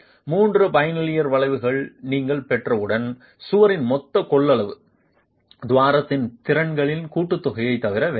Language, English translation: Tamil, Once you have the three bilinear curves, you see that the total capacity of the wall is nothing but a summation of the capacities of the peer